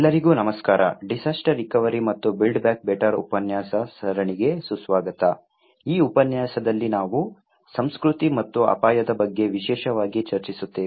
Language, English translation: Kannada, Hello everyone, welcome to the lecture series on disaster recovery and build back better, in this lecture we will discuss about culture and risk particularly in disaster risk